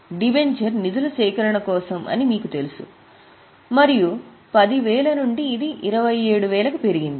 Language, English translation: Telugu, You know that debenture is for raising of funds and from 10,000 it has increased to 27